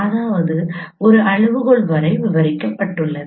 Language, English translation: Tamil, That means there is it is described up to scale